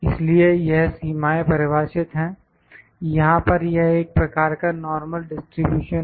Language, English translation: Hindi, So, these limits are defined all you know it is a kind of a normal distribution here, is a kind of normal distribution here